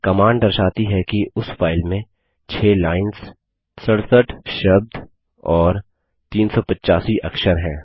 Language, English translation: Hindi, These command points out that the file has 6 lines, 67 words and 385 characters